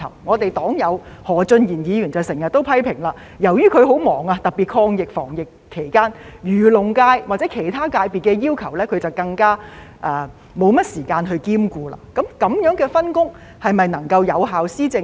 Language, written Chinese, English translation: Cantonese, 我們的黨友何俊賢議員便經常批評，由於她很忙碌，特別是在抗疫防疫期間，因此更沒有時間兼顧漁農界或其他界別的要求，這樣的分工是否能夠讓政府有效地施政呢？, Mr Steven HO our party comrade has always made the criticism that she is too busy to spare time to deal with the demands of the agricultural and fisheries sectors or any other sectors especially during the fight against the pandemic . With a division of responsibilities like this can the governance of the Government really be effective?